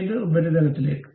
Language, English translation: Malayalam, Up to which surface